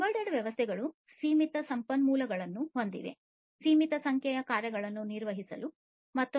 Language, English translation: Kannada, Embedded systems have limited resources for per performing limited number of tasks